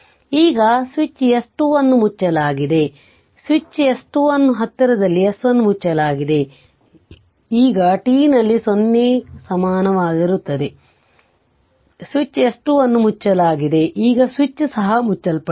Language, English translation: Kannada, Now, switch S switch S 2 is close, S 1 was closed; now at t is equal 0, switch S 2 is closed, now this switch is also closed